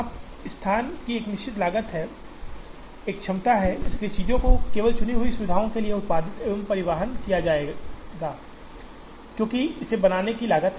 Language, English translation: Hindi, Now, the moment there is a fixed cost of location here, there is a capacity, so things have to be produced and transported only to chosen facilities, because there is cost of creating this